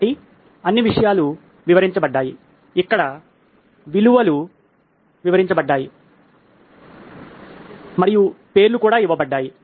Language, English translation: Telugu, So all the elements are described, the values here are described and the names are given as well